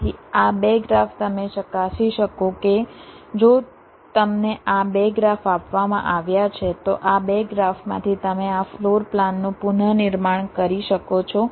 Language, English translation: Gujarati, so these two graphs, you, you can check that if you are given these two graphs, from these two graphs you can reconstruct this floor plan